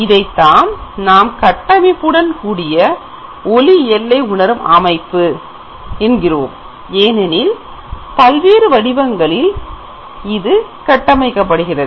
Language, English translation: Tamil, So this is called structured light range sensing system because the light itself has been structured in different patterns